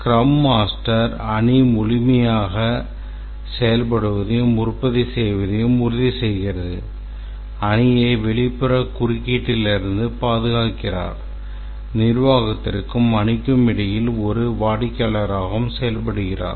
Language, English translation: Tamil, Ensures that the team is fully functional and productive, seals the team from external interference, liaisons between the management and the team and also with the customer